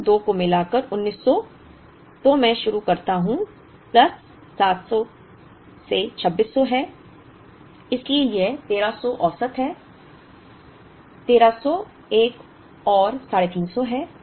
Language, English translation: Hindi, Combining these 2 so 1900 I begin with plus 700 is 2600 so it is 1300 is the average, 1300 another 350